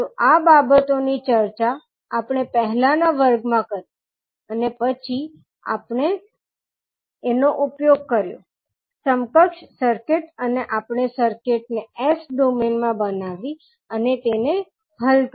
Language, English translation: Gujarati, So, these things we discussed in our previous class and then we, utilized these, equivalent circuits and we created the circuit in s domain and solved it